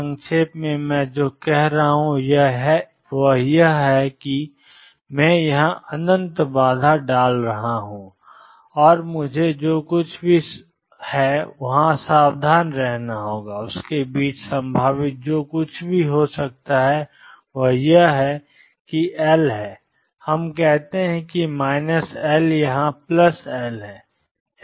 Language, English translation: Hindi, In essence what I am saying is I am putting infinite barrier here and whatever the potential does in between what I have to be careful about is that L, this is let us say minus L this is plus L, L is large enough